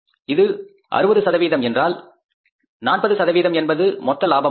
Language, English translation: Tamil, 60% because 40% is the gross profit